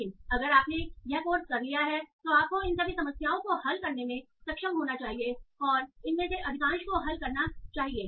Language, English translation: Hindi, So, but yeah, if you have done this course, so you should be able to attempt all these problems and solve most of the